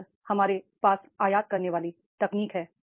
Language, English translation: Hindi, Now we are having the importing the technology